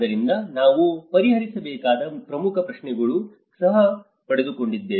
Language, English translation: Kannada, So, we also got key questions that are to be addressed